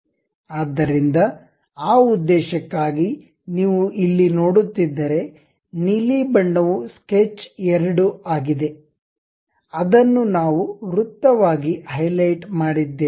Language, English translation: Kannada, So, for that purpose if you are looking here; the blue one is sketch 2, which we have highlighted as circle